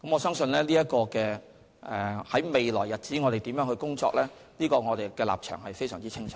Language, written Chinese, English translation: Cantonese, 對於在未來的日子要如何工作，我相信我們的立場非常清楚。, I believe we have made our position clear with regard to our future practices